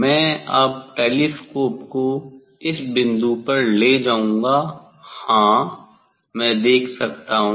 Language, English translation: Hindi, I will take the telescope now at this point, yes, I can see